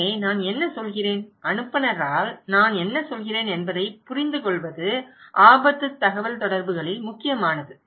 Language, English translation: Tamil, So, what I mean, what I mean by the sender and what I understand is important in risk communications